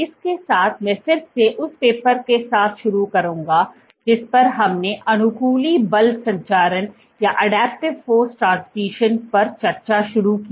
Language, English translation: Hindi, With that I again get started with the paper we started discussing on adaptive force transmission